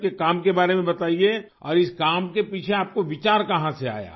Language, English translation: Urdu, Tell us about your work and how did you get the idea behind this work